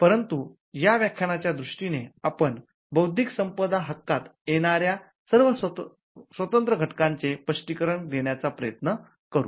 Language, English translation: Marathi, But for the purpose of this lecture, we will try to explain the independent ingredients that constitute intellectual property rights